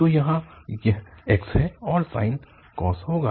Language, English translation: Hindi, So here the x and the sine will be cos